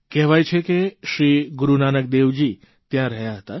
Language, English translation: Gujarati, It is believed that Guru Nanak Dev Ji had halted there